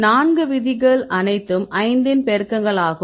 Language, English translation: Tamil, So, there are four rules all are multiples of 5